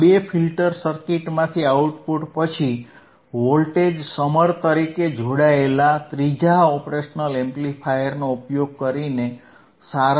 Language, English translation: Gujarati, tThe output from these two filter circuits is then summed using a third operational amplifier connected as a voltage summer